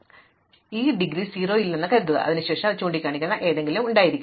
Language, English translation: Malayalam, Now, supposing this does not have indegree 0, then it must also have something pointing into it